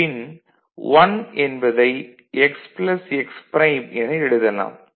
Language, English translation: Tamil, Then this 1 can be written as x plus x prime